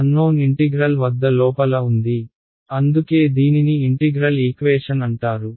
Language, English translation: Telugu, The unknown is sitting inside an integral sign that is why it is called integral equation